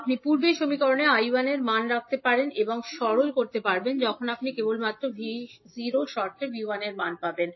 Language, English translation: Bengali, So you can put the value of I 1 in the previous equation and simplify when you simply you will get the value of V 1 in terms of V naught